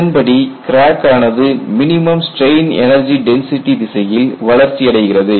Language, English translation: Tamil, And what you are saying here is crack growth will occur in the direction of minimum strain energy density